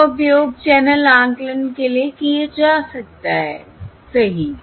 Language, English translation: Hindi, These can be used for channel estimation